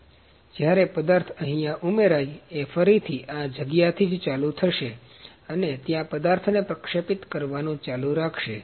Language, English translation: Gujarati, So, when the material is added over, here it will restart from this point only and keep depositing the material here